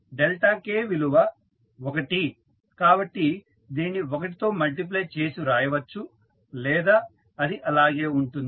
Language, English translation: Telugu, Delta k is 1 so anyway that is you can write multiply equal to 1 or it will remain same